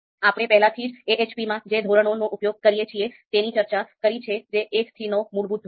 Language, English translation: Gujarati, So we have already talked about the scale that we typically use in AHP that is one to nine fundamental one to nine scale